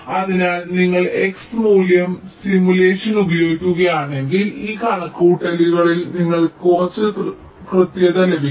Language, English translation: Malayalam, so if you are using x value simulation, you can get some accuracy in this calculation, right